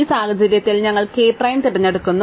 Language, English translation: Malayalam, In this case we choose k prime